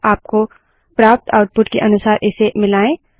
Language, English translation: Hindi, Match this according to the output you are getting